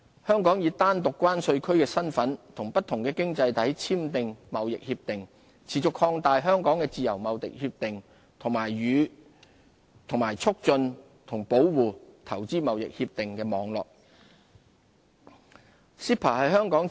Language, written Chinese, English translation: Cantonese, 香港以單獨關稅區的身份與不同經濟體簽訂貿易協定，持續擴大香港的自由貿易協定與促進和保護投資協定網絡。, Hong Kong as a separate customs territory has signed trade agreements with various economies and continuously expanded its Free Trade Agreement FTA and Investment Promotion and Protection Agreement IPPA networks